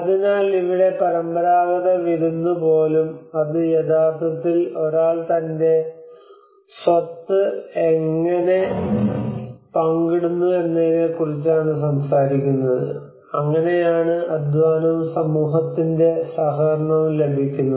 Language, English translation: Malayalam, So here even the traditional feast it is talking about how it actually one is sharing his wealth, and that is how brings the labour and the communityís cooperation